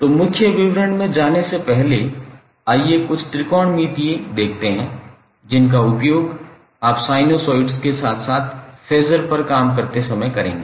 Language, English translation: Hindi, So, before going into the details, let's see a few of the technometric identities which you will keep on using while you work on sinosides as well as phaser